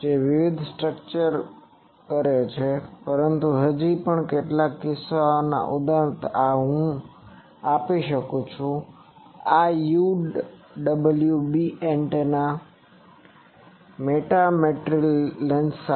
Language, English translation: Gujarati, So, that various structures do, but still in some cases like one example I can give that this UWB antenna with metamaterial lens